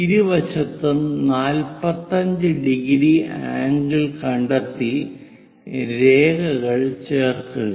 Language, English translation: Malayalam, Locate 45 degree angle on both sides join it by a line